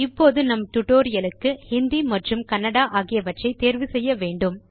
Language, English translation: Tamil, For our tutorial Hindi and Kannada should be selected